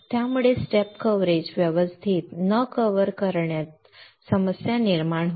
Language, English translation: Marathi, And that will cause a problem in not covering the step coverage properly